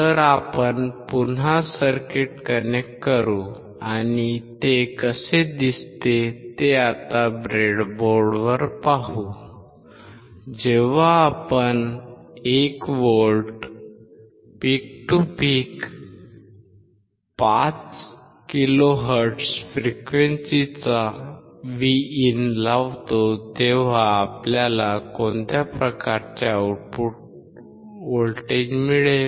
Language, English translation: Marathi, So, let us against connect the circuit and let us see how it looks, now on the breadboard and what kind of output voltage we obtained, when we apply Vin of 1 volts peak to peak 5 kilo hertz frequency